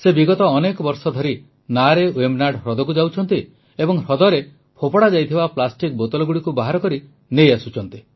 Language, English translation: Odia, For the past several years he has been going by boat in Vembanad lake and taking out the plastic bottles thrown into the lake